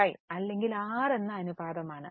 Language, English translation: Malayalam, So, it is almost a ratio of 5